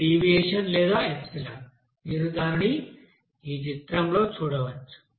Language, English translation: Telugu, This is deviation or epsilon you can see in this figure here